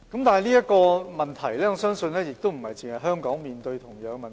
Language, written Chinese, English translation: Cantonese, 但是，我相信不單香港面對同樣的問題。, But I believe Hong Kong is not alone in facing the same problem